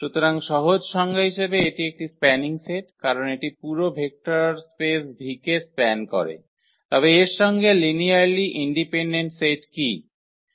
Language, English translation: Bengali, So, the simple definition it is a spanning set because it should span the whole vector space V, but what is in addition that the linearly independent set